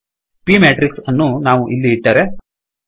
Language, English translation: Kannada, Supposing we put p matrix here